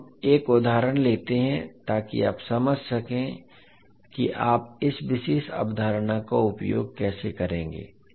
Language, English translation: Hindi, Now let us take one example so that you can understand how will you utilise this particular concept